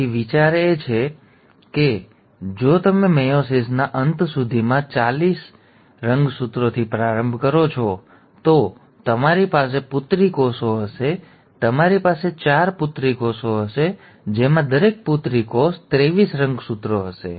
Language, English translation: Gujarati, So the idea is, if you start with forty six chromosomes by the end of meiosis, you will have daughter cells, you will have four daughter cells with each daughter cell containing twenty three chromosomes